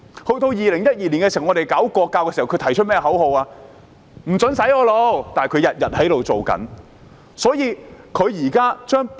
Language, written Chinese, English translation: Cantonese, 在2012年，我們想推行國教時，他們提出的口號是"不准洗我腦"，但他們卻一直在這樣做。, In 2012 when we intended to implement national education their slogan was No brainwashing but they have been doing so all along